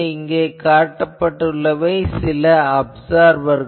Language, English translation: Tamil, Now, these are some these are observers